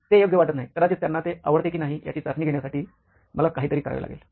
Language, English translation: Marathi, that does not sound right, maybe I have to do something to test whether they like it